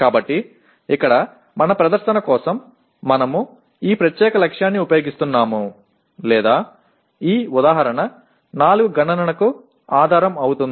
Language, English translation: Telugu, So here for our presentation we are using this particular target or rather this example 4 will be the basis for computation